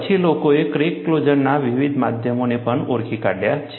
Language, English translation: Gujarati, Then, people also identified different modes of crack closure